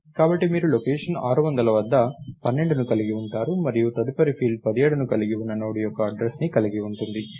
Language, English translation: Telugu, So, you will have 12 at location 600, and the next field contains the address of the Node containing 17